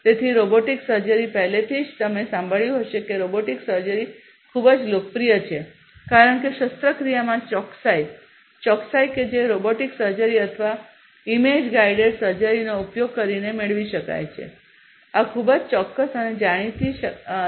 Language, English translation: Gujarati, So, robotic surgery, you know, already probably you must have heard that robotic surgery is very popular because of the precision, precision in surgery that can be obtained using robotic surgery or image guided surgery, these are very precise and know